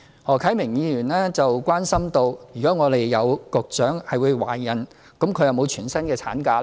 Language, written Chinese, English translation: Cantonese, 何啟明議員關心，如果有局長懷孕，她是否享有全薪產假。, Mr HO Kai - ming is concerned whether a pregnant Secretary can enjoy fully paid maternity leave